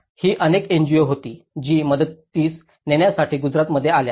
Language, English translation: Marathi, It was many NGOs which came to Gujarat to give their helping hand